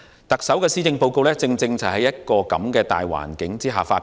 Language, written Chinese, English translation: Cantonese, 特首的施政報告正是在這個大環境下發表。, The Chief Executives Policy Address was presented in this context